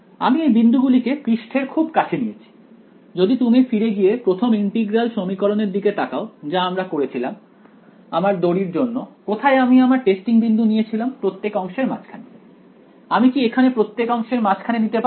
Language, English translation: Bengali, I led these points go very close to the surface, if you look thing back at the first integral equation that I did that wire where did I pick my testing points middle of each segment; can I do middle of each segment here